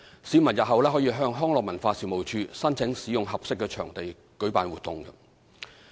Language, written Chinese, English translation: Cantonese, 市民日後可向康樂及文化事務署申請使用合適場地舉辦活動。, In future members of the public can apply to the Leisure and Cultural Services Department for use of suitable venues for holding activities